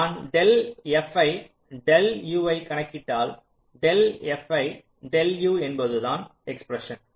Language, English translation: Tamil, if i calculate del f i, del u, del f i, del u, del f i, del u means i, one expression like this